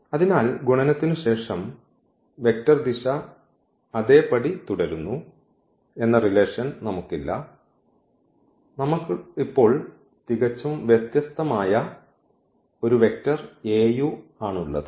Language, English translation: Malayalam, So, we do not have such relation that after multiplication the vector direction remains the same, we have a completely different vector now Au